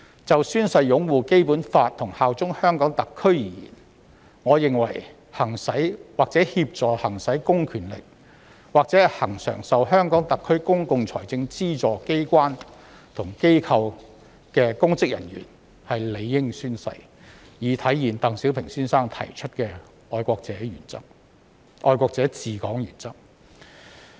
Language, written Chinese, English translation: Cantonese, 就宣誓擁護《基本法》和效忠特區而言，我認為行使或協助行使公權力，或恆常受特區公共財政資助機關和機構的公職人員理應宣誓，以體現鄧小平先生提出的愛國者治港原則。, 201 and the prevailing common law the scope of public officers is rather broad . As regards upholding the Basic Law and bearing allegiance to SAR I think that public officers who exercise or assist in the exercise of public powers or are members of organs and organizations regularly funded by SAR should take an oath to reflect the patriots administering Hong Kong principle put forward by Mr DENG Xiaoping